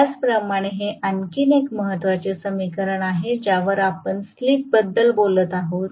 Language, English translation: Marathi, Similarly, this is another important equation whatever is the condition at which we are talking about the slip